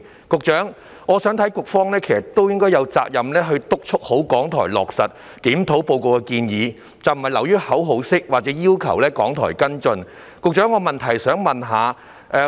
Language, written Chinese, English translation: Cantonese, 局長，我認為局方有責任督促港台落實《檢討報告》的建議，不能流於口號式地要求港台作出跟進。, Secretary I consider it the responsibility of the Bureau to supervise and urge RTHK to implement the recommendations made in the Review Report rather than demanding in a rhetorical manner follow - up actions from RTHK